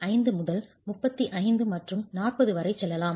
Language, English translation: Tamil, 5 all the way up to 35 and 40